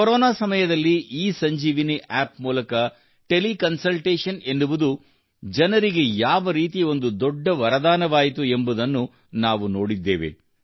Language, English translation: Kannada, We have seen that in the time of Corona, ESanjeevani App has proved to be a great boon for the people